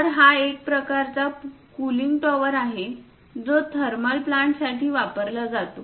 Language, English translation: Marathi, So, this is one kind of cooling tower utilized for thermal plants